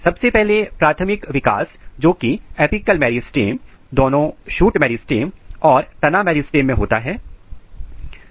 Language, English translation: Hindi, First very important thing is the primary growth which occurs at the apical meristem both shoot apical meristem and root apical meristem